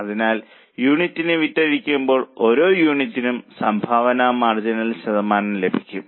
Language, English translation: Malayalam, So, contribution margin per unit upon selling price per unit, we get percentage